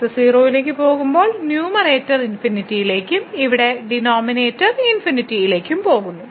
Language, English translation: Malayalam, So, in this case when goes to 0 the numerator goes to infinity and also here the denominator goes to infinity